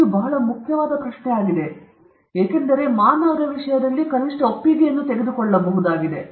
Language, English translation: Kannada, That is a very important question, because in the case of human beings at least the consent is being taken